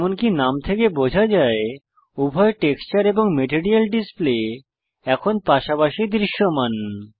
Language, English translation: Bengali, As the name suggests, both texture and material displays are visible side by side now